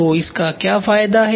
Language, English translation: Hindi, So, What is the advantage